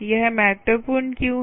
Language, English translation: Hindi, ok, why is this important